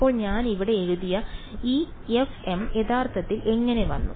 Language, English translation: Malayalam, So, this f m that I wrote over here how did it actually come